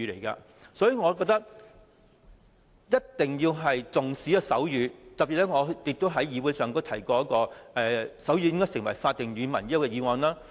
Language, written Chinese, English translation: Cantonese, 因此，我覺得一定要重視手語，我亦曾特別在議會提出"爭取手語成為香港官方語言"的議案。, Therefore I think we should attach importance to sign language . I have once especially moved a motion on Striving to make sign language an official language of Hong Kong in the Council